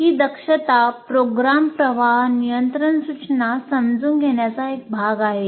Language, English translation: Marathi, This competency is part of understand program flow control instructions